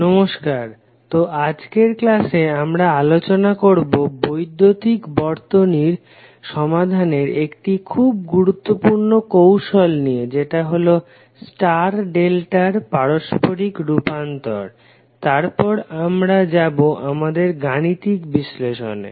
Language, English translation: Bengali, So in today’s session, we will discuss about 1 very important technique for solving the electrical circuit that is star delta transformation and then we will proceed for our math analysis